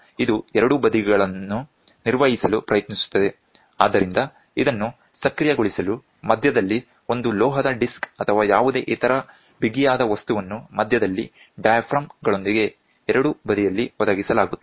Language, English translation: Kannada, So, this tries to maintain both sides so, to enable this, a metal disc or any other rigid material is provided at the center with diaphragms on both sides